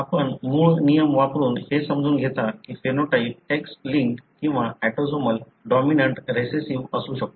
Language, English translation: Marathi, So, you use these thumb rules to understand whether the phenotype could be X linked or autosomal, whether it is dominant, recessive